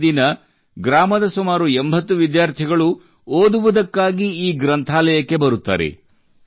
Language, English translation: Kannada, Everyday about 80 students of the village come to study in this library